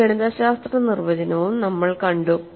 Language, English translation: Malayalam, So, you have a mathematical definition